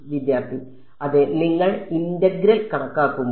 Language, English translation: Malayalam, Yeah then when you calculate the integral